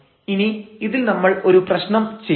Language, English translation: Malayalam, Let us solve some problem based on this